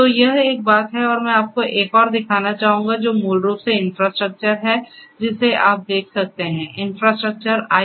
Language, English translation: Hindi, So, this is one thing and so I would also like to show you another one which is so this basically you know this is a this one is basically the infrastructure that you are able to see; infrastructure IaaS